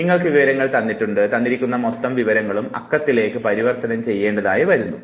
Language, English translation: Malayalam, You have information given to you and this whole piece of information all you have to do is that you have to convert it into number